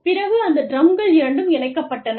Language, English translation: Tamil, And, the drums were joined